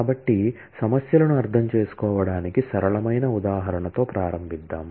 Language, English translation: Telugu, So, let us start with a simple example to understand the issues